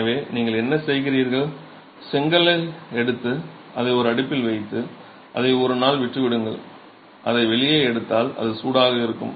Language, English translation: Tamil, So, what you do, you take the brick, put it into an oven, leave it for a day, take it out, it is going to be hot, you leave it outside for some time so that it comes down to room temperature